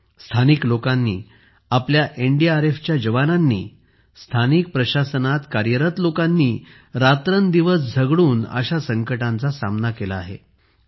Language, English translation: Marathi, The local people, our NDRF jawans, those from the local administration have worked day and night to combat such calamities